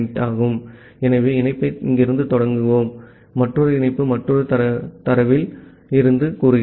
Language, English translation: Tamil, So, let us initiate the connection from here another connection say from another tab